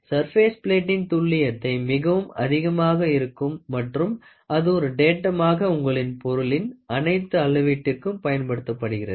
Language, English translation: Tamil, The accuracy of a surface plate is very high and it and it is used as a datum for all measurements on your job